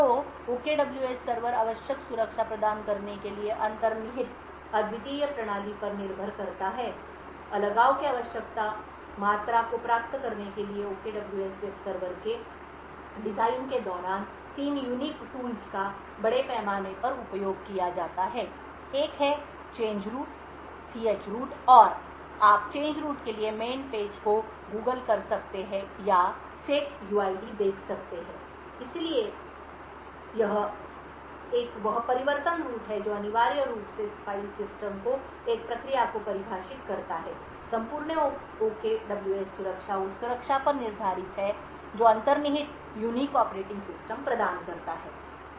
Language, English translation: Hindi, So the OKWS server relies on the underlying unique system to provide the necessary security, three unique tools are used extensively during the design of the OKWS web server in order to achieve the required amount of isolation, so one is the change root, chroot and you can google or look up the man pages for change root and setuid, so one is the change root which essentially defines the file system a process can see, the entire OKWS security is based on the security that the underlying unique operating system provides